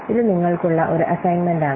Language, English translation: Malayalam, This is an assignment for you